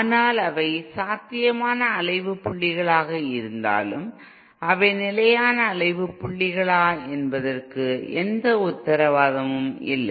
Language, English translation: Tamil, But then there is no guarantee that even though they are potential oscillation points we are not sure whether they are stable oscillation points